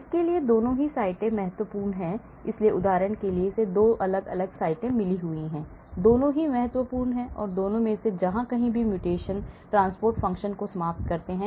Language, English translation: Hindi, Both the sites are essential for this, so for example it is got 2 different sites , so both are very important and mutations in either side knocks out transport function